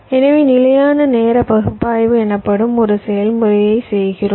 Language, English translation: Tamil, so we perform a process called static timing analysis